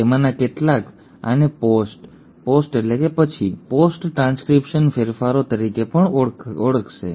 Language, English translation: Gujarati, Some of them will also call this as post, post means after, post transcriptional modifications